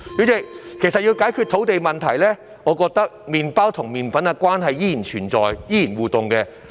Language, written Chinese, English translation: Cantonese, 主席，其實要解決土地問題，我覺得麵包和麵粉的互動關係依然存在。, President in fact to address the land supply issue I think there still exists an interactive relationship between bread and flour